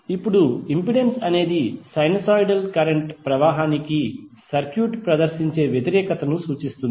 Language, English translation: Telugu, Now impedance represents the opposition that circuit exhibits to the flow of sinusoidal current